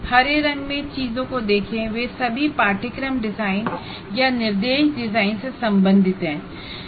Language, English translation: Hindi, So, if you look at these things in green color, they are all related to course design or what we call instruction design